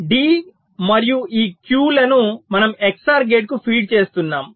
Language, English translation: Telugu, d and this q, we are feeding to an x o r gate